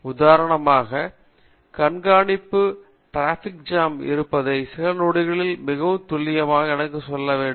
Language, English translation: Tamil, For example, if there is a monitoring traffic, I need to tell very accurately within the next of few seconds that there is a traffic jam here